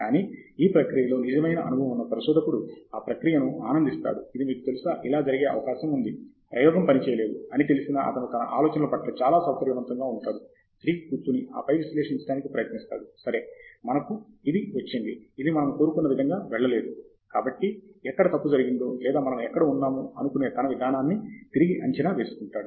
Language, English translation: Telugu, Whereas a true researcher, who has had experience in the process appreciates that, you know, this is likely to happen, is quite comfortable with the idea that, you know, his first set of experiment did not work out, and sits back, and then tries to analyze, ok we got this and it did not go the way we wanted, so where have we gone wrong or where is it that we need to reassess our approach